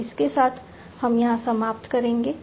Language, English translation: Hindi, So, with this we will come to an end